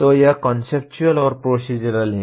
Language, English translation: Hindi, So that is conceptual and procedural